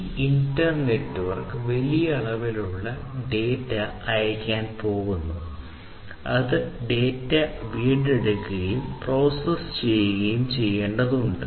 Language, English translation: Malayalam, And then this inter network is going to send lot of data, which will have to be processed in order to make use out of the data that have been retrieved